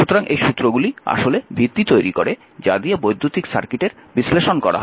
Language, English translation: Bengali, So, these laws actually form the foundation upon which the electric circuit analysis is built